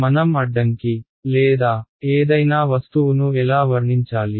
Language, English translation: Telugu, What how should I characterize an obstacle or any object